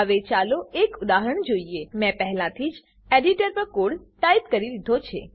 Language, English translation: Gujarati, Now let us see an example I have already typed the code on the editor